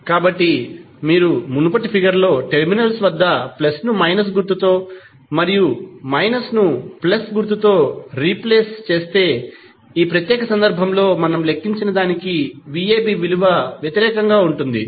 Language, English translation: Telugu, So, you can simply say, if you replace in the previous figure plus with minus sign minus with plus sign v ab will be opposite of what we have calculated in this particular case